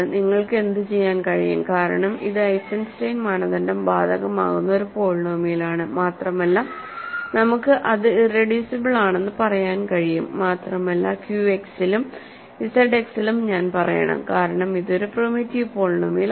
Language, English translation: Malayalam, What can you so; because this is a polynomial to which Eisenstein criterion applies and that we can say its irreducible and I should actually say in Q X also in Z X because it is a primitive polynomial